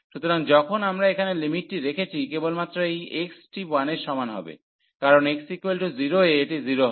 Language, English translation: Bengali, So, when we put the limit here only this x is equal to 1 will contribute, because at x equal to 0 will make this 0